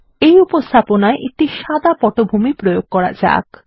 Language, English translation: Bengali, Lets apply a white background to this presentation